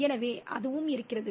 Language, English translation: Tamil, So that is also there